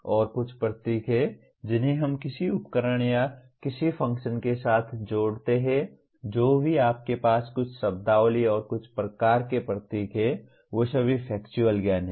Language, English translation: Hindi, And there are some symbols that we associate with some device or some function whatever it is you have some terminology and some kind of symbols, they are all factual knowledge